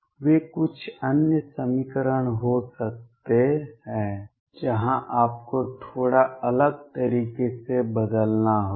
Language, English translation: Hindi, They could be some other equations where you have to rescale slightly differently